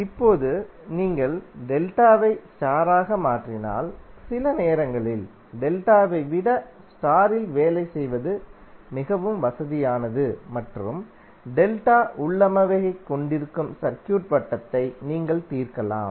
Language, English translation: Tamil, Now if you convert delta to star then sometimes it is more convenient to work in star than in delta and you can solve the circuit which contain delta configuration